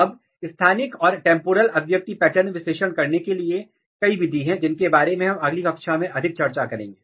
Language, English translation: Hindi, Now for doing spatial and temporal expression pattern analysis, there are several method, which we will discuss more in the next class